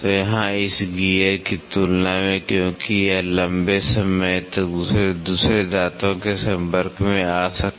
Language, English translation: Hindi, So, compared to here this gear because it can come in contact with another teeth for a longer time